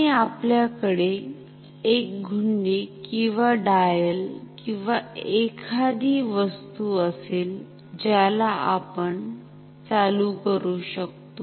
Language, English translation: Marathi, And we will have an like a knob or a dial or something so which we can turn ok